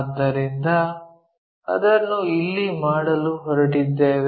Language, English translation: Kannada, So, it is going to make it here